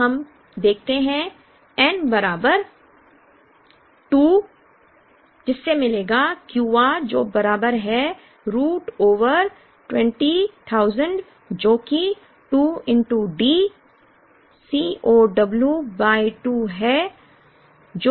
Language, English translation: Hindi, Now, we could look at n equal to 2 to get Q r is equal to root over 20,000 which is 2 into D C 0 w by 2